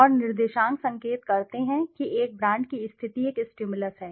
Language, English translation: Hindi, And coordinates indicate the positioning of a brand are a stimulus